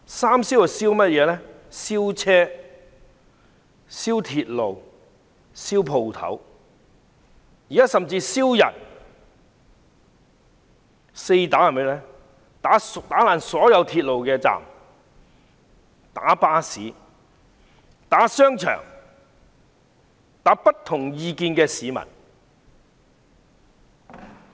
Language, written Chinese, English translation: Cantonese, "三燒"即燒車、燒鐵路及燒店鋪，現在甚至燒人，而"四打"則是打破所有鐵路的閘門、打巴士、打商場及打不同意見的市民。, But now they burn three targets and vandalize four things . The three targets are vehicles trains and shops; and now they even set a person ablaze . And the four things they vandalize are entry gates of railway stations buses shopping malls and people who hold a different view from theirs